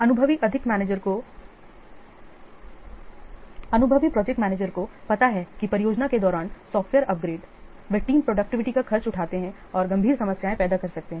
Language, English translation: Hindi, The experienced project managers, they know that the software upgrades during the project, they cost the team productivity and may create serious problems